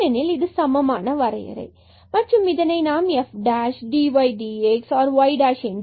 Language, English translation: Tamil, And, we have denoted this by f prime x or dy dx or y prime